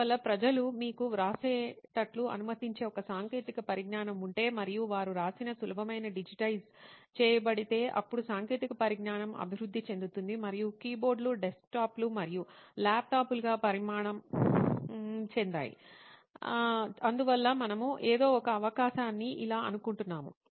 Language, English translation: Telugu, So if there was a technology which would have allowed people to you know write and whatever they have written got digitized easily then probably the way technology has evolved and keyboards have evolved into desktops and laptops would have been different is why we think an opportunity for something like this exists